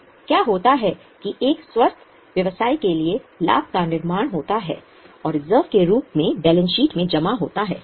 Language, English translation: Hindi, So, what happens is for a healthy business, profit goes on building up and that accumulates in the balance sheet in the form of reserve